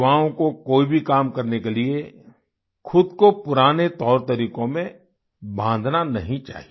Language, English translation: Hindi, For doing any work, they should not bind themselves to old methods and practices